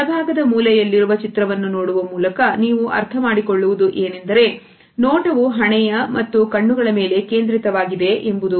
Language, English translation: Kannada, As you can make out by looking at the picture on the right hand side corner that the gaze is focused on the forehead and eyes